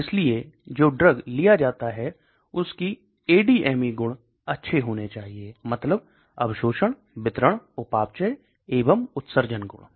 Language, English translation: Hindi, So the drug which is taken in has to have good ADME properties, that means absorption, distribution, metabolism and excretion properties